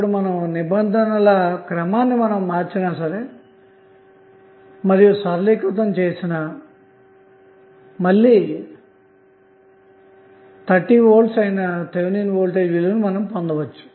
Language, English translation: Telugu, Now if you rearrange the terms and simplify it you will again get the value of Thevenin voltage that is 30V